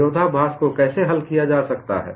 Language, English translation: Hindi, How the contradiction can be resolved